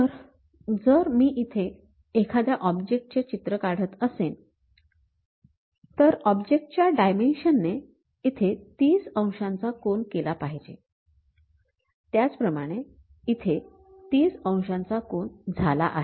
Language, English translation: Marathi, So, if I am drawing a picture here, any object thing; object dimension supposed to make 30 degrees here, similarly this one makes 30 degrees